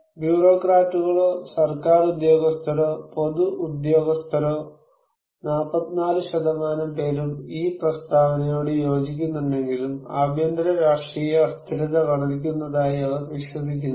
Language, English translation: Malayalam, Whereas the bureaucrats or the government officials, public officials, 44% of them agreed with this statement, they do not believe domestic political instability is increasing